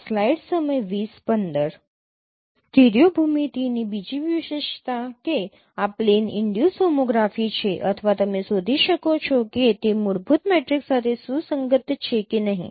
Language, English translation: Gujarati, Another feature of the studio geometry that this plane induced homography or you can find out whether it is compatible to a fundamental matrix or not